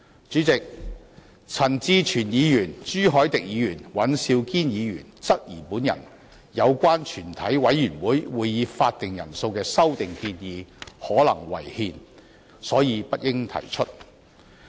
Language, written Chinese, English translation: Cantonese, 主席，陳志全議員、朱凱廸議員及尹兆堅議員質疑有關降低全體委員會會議法定人數的修訂建議可能違憲，所以不應提出。, President Mr CHAN Chi - chuen Mr CHU Hoi - dick and Mr Andrew WAN contend that my proposed amendment to reduce the quorum of a committee of the whole Council may be unconstitutional and therefore should not have been proposed